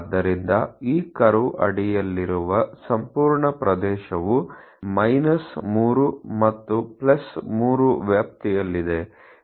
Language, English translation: Kannada, So, almost the entire area under this curve lies in the range 3 and +3